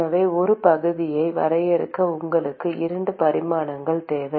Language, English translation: Tamil, So, you need 2 dimensions in order to define an area